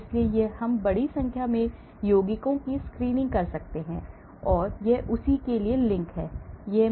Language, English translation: Hindi, so we can screen large number of compounds, this is the link for that